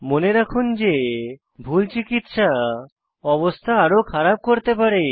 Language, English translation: Bengali, Remember, wrong first aid can make ones condition worse